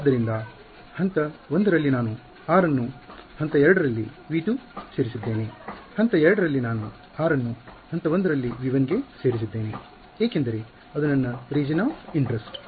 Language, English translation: Kannada, So, in step 1 I made r belong to v 2 in step 2 I make r belong to v 1 because that is my region of interest